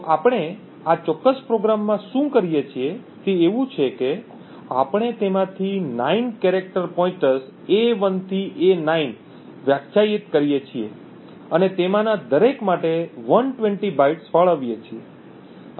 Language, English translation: Gujarati, So, what we do in this particular program is that we define character pointers 9 of them a 1 to a 9 and allocate 120 bytes for each of them and then simply just print the addresses for each of these 9 pointers